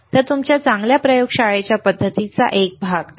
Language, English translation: Marathi, So, again a part of your good laboratory practices, cool, all right